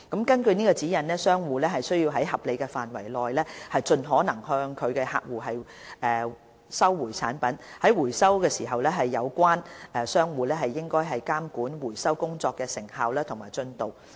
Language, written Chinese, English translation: Cantonese, 根據指引，商戶須在合理範圍內盡可能向客戶收回產品，而在回收時，有關商戶應監管回收工作的成效及進度。, According to the Recall Guidelines traders must recall the products from their customers within reasonable limits and during the recall the relevant traders should regulate the efficiency and progress of the recall